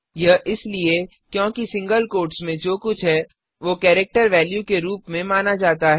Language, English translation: Hindi, This is because anything within the single quotes is considered as a character value